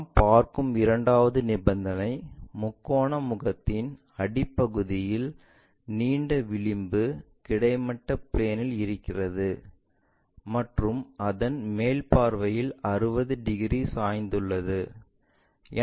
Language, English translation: Tamil, And second condition if we are seeing, the longer edge of the base of the triangular face lying on horizontal plane and it is inclined 60 degrees in the top view